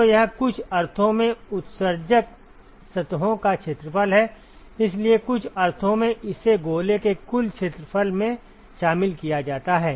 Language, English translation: Hindi, So, it is accounted in some sense the area of the emitting surfaces, so in some sense accounted in the total area of the sphere